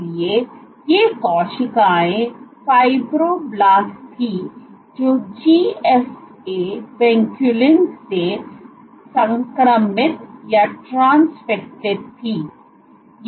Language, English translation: Hindi, So, these cells were fibroblasts which were transfected with GFP Vinculin